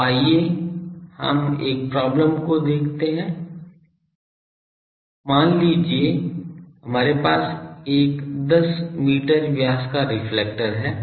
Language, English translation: Hindi, So, let us see a problem that suppose we have a 10 meter diameter reflector; a let us do a problem